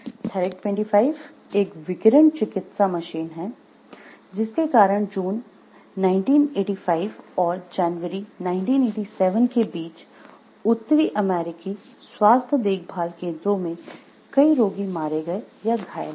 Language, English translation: Hindi, The Therac 25 a radiation therapy machine killed or injured patients at several north American health care facilities between June 1985 and January 87